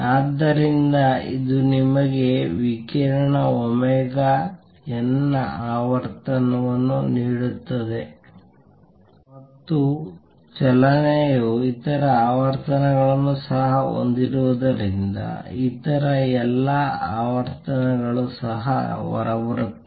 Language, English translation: Kannada, So, it will give you frequency of radiation omega n and since the motion also contains other frequencies all the other frequencies will also come out